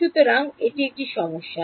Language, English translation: Bengali, So, this is a problem